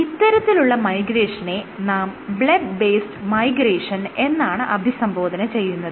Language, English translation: Malayalam, So, this kind of migration is called a bleb based migration